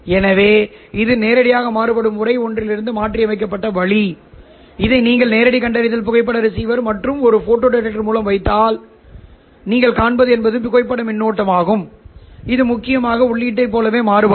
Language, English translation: Tamil, If you put this one through the direct detection photo receiver or a photo detector, what you will see is a photo current which will essentially vary in the same manner as the input